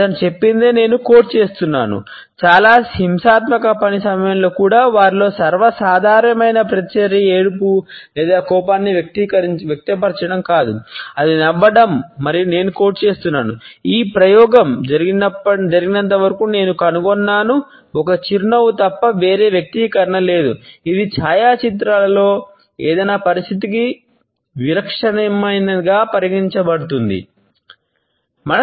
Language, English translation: Telugu, He had said and I quote that even during the most violent task and some of them were, the most common reaction was not either to cry or to express anger, it was to smile and I quote “So far as this experiment goes I have found no expression other than a smile, which was present in a photographs to be considered as typical of any situation”